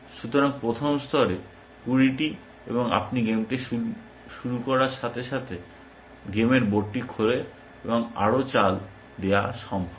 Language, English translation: Bengali, So, 20 at the first level and as you start playing the game, the game board opens up, and more moves are possible